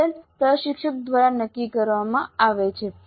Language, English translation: Gujarati, This is the pattern that is decided by the instructor